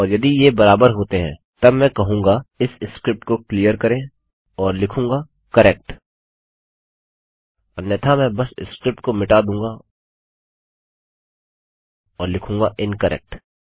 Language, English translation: Hindi, And if they do match then Ill say clear this script and write correct otherwise Ill just kill the script and say incorrect